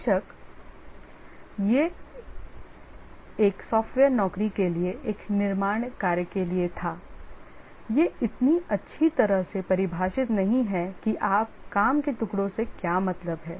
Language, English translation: Hindi, Of course, this was for a manufacturing job, for a software job, it's not so well defined that what do we mean by pieces of work completed